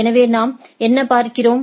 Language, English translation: Tamil, So, so what we see